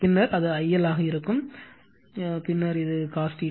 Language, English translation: Tamil, Then it will be I L, then cos theta